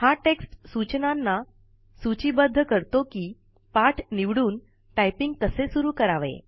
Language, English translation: Marathi, This text lists instructions on how to select the lecture and begin the typing lessons